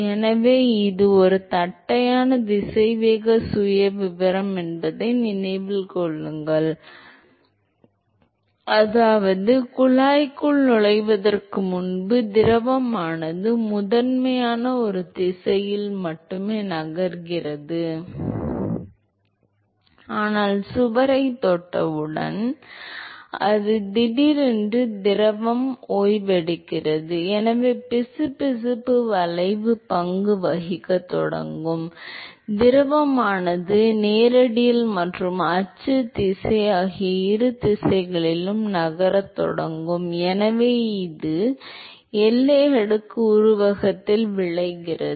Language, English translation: Tamil, So, note that it is a flat velocity profile which means before it enters the tube the fluid is primarily moving in only one direction, but as soon as it touches the wall as soon as the experience the wall its suddenly the fluid comes to rest and so the viscous effect will start playing role and therefore, the fluid will start moving in both direction both radial and the axial direction and therefore, it results in the formation of boundary layer